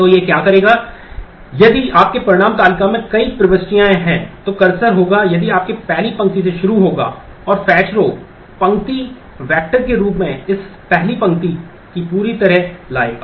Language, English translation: Hindi, So, what it will do that if your result table has multiple entries, then the cursor will if will be will start with the first row and fetch one will bring the whole of this first row as a row vector